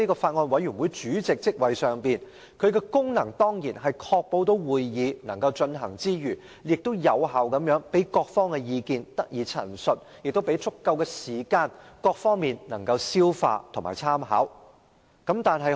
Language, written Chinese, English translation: Cantonese, 法案委員會主席的功能，是要確保會議能夠進行之餘，亦要有效地讓各方意見得以陳述，並給予各方足夠時間消化和參考相關資料。, The functions of the Chairman of a Bills Committee are to ensure that its meetings can be held and to effectively allow different parties to state their views and have sufficient time to digest and take reference from relevant information